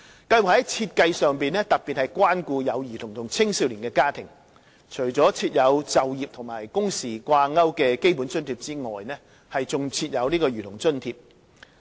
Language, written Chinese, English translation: Cantonese, 計劃在設計上特別關顧有兒童和青少年的家庭，除設有與就業和工時掛鈎的基本津貼外，還設有兒童津貼。, The Scheme is designed to particularly take care of families with children and youth . Apart from providing the Basic Allowance which is tied to employment and working hours a Child Allowance is also provided